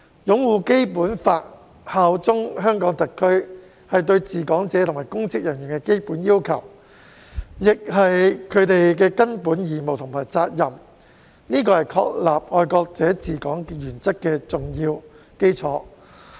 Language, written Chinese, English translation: Cantonese, "擁護《基本法》、效忠香港特區"是對治港者及公職人員的基本要求，亦是他們的根本義務和責任，這是確立"愛國者治港"原則的重要基礎。, Upholding the Basic Law and bearing allegiance to HKSAR are the basic requirements for as well as the fundamental obligations and duties of the administrators and public officers of Hong Kong